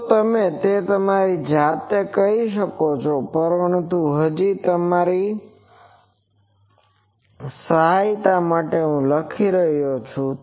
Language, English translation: Gujarati, So, you can do yourself, but still for helping you I am writing it